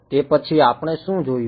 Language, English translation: Gujarati, After that what did we look at